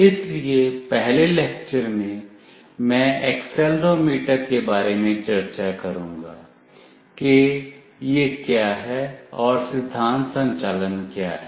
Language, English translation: Hindi, So, in the first lecture, I will be discussing about accelerometer what it is and what is the principle operation